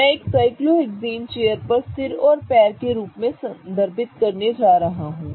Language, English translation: Hindi, I am going to refer a chair cyclohexane as one of the head of the chair and the legs of the chair